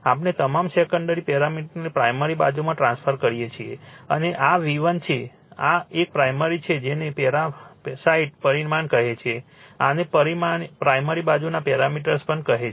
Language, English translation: Gujarati, We transform all the all the secondary parameters to the primary side, right and this is my V 1, this is my this one my primary is your what you call the parasite parameter this one also primary side parameters